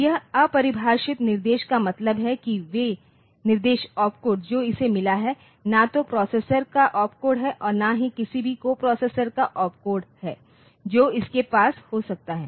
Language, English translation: Hindi, So, this undefined instruction means they are in the instruction opcode that it has got is neither the opcode of the processor nor the opcode of any of the coprocessors that it may have